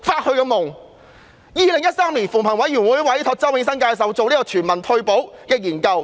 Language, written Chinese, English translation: Cantonese, 在2013年，扶貧委員會委託周永新教授就全民退休保障進行研究。, In 2013 the Commission on Poverty commissioned Prof Nelson CHOW to conduct a study on universal retirement protection